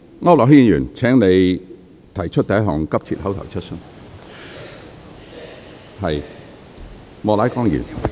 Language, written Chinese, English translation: Cantonese, 區諾軒議員，請你提出第一項急切口頭質詢。, Mr AU Nok - hin please put your first urgent oral question